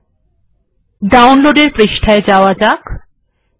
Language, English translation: Bengali, And go to this download page